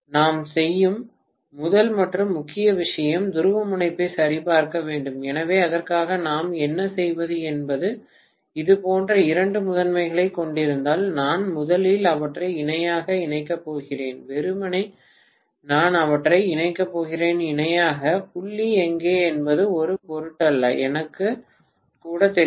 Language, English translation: Tamil, The first and foremost thing that we do is to check the polarity, so for that what we do is if I am having the two primaries like this, I am going to connect them in parallel first of all, simply I am going to connect them in parallel, it does not matter whether where the dot is, I may not even know